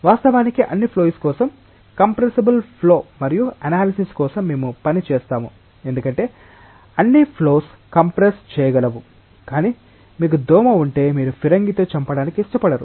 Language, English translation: Telugu, Of course, for all flows compressible flow and analysis we will work because, all flows are compressible, but it is like if you have a mosquito you will not like to kill it with a cannon